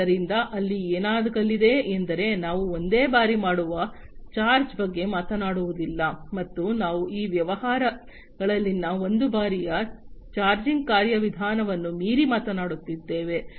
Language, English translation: Kannada, So, there so what is going to happen is we are not talking about a one time kind of charge, and we are going beyond this one time kind of charging mechanism that already exists for other types of businesses